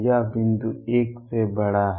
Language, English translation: Hindi, This point is greater than 1